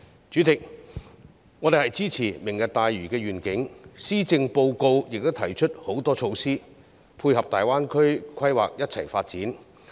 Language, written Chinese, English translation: Cantonese, 主席，我們支持"明日大嶼願景"，施政報告亦提出很多措施，配合大灣區規劃共同發展。, President we support the Lantau Tomorrow Vision . The Policy Address also proposes various measures to support the planned development of the Greater Bay Area